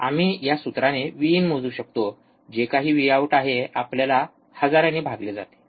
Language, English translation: Marathi, We can measure V in by this formula, whatever V out we get divide by thousand, why